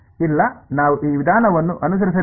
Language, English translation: Kannada, No we did not use we did not follow this approach